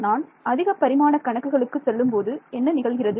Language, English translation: Tamil, What happens when I got to higher dimensions